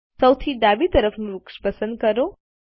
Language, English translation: Gujarati, Let us select the left most tree